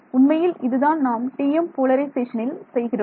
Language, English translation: Tamil, In fact, that is what we do in the case of the TM polarization